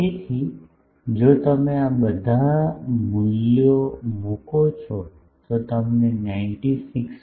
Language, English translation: Gujarati, So, you will if you put all these values, you will get something like 96